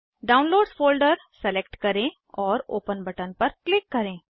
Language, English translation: Hindi, Select Downloads folder and click on open button